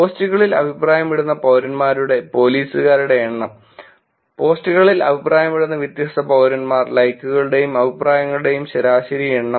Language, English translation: Malayalam, Number of police in citizen who comment in posts: distinct citizens who comment in posts, average number of likes and comments